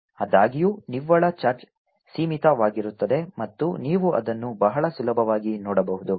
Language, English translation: Kannada, however, the net charge is going to be finite and you can see that very easily